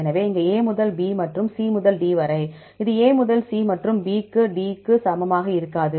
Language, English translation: Tamil, So, here from A to B and C to D this is not equal as A to C and B to D